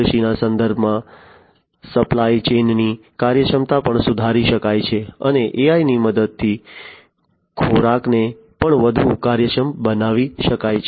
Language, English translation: Gujarati, Supply chain efficiency also can be improved in supply chain in the context of agriculture and food could also be made much more efficient with the help of AI